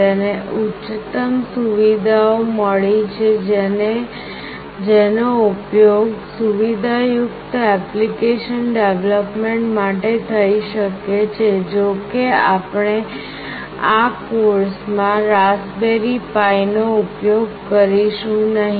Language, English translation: Gujarati, It has got high end features that can be used for sophisticated application development although we will not be using Raspberry Pi in this particular course